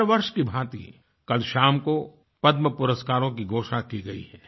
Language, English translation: Hindi, Like every year, last evening Padma awards were announced